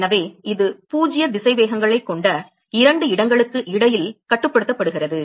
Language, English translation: Tamil, So, it is bounded between two locations which have 0 velocities